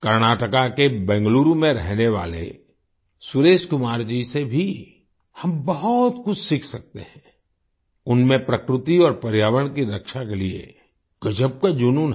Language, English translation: Hindi, We can also learn a lot from Suresh Kumar ji, who lives in Bangaluru, Karnataka, he has a great passion for protecting nature and environment